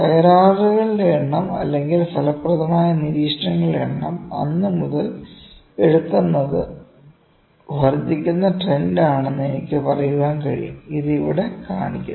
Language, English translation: Malayalam, The I can say the number of defects or the number of effective observations those are being taken from then, this is an increasing trend it is showing an increasing trend here, ok